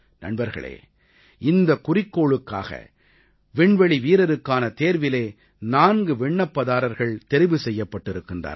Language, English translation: Tamil, Friends, you would be aware that four candidates have been already selected as astronauts for this mission